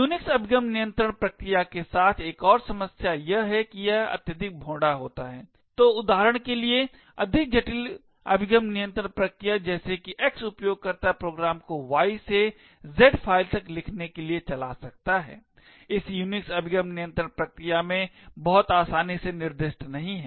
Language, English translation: Hindi, Another problem with Unix access control mechanisms is that it is highly coarse grained, so for example more intricate access control mechanisms such as X user can run programs Y to write to files Z is not very easily specified in this Unix access control mechanisms